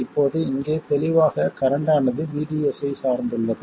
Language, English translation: Tamil, Now here clearly the current very much depends on VDS